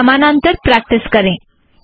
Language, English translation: Hindi, Practice them in parallel